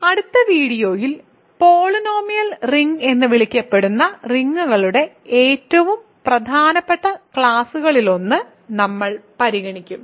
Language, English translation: Malayalam, So, in the next video we will consider one of the most important classes of rings, called polynomial rings